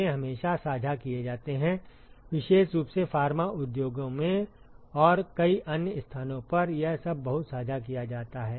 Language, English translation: Hindi, They are always shared, particularly in Pharma industries and many other places it is all very shared